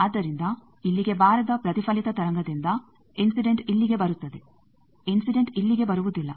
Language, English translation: Kannada, So, from reflected wave is not coming here, incident is coming here incident is not coming here